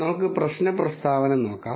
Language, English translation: Malayalam, Let us look at the problem statement